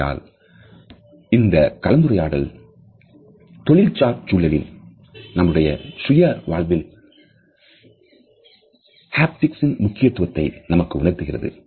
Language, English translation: Tamil, So, this discussion of haptics tells us of it is significance in the workplace, in our personal life also